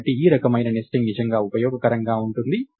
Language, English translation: Telugu, So, this kind of nesting is really useful